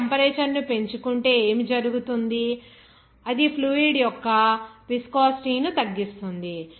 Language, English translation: Telugu, If you increase the temperature, what will happen, that decrease the viscosity of the fluid